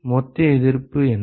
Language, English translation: Tamil, What is the total resistance